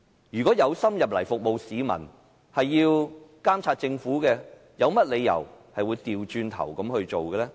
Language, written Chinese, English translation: Cantonese, 有心進入議會服務市民的議員，是想監察政府，有甚麼理由反過來做呢？, Members who aspire to joining the Council to serve people want to monitor the Government so why would they do the opposite?